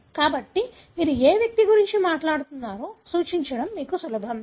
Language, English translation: Telugu, So, it is easy for you to refer to which individual you are talking about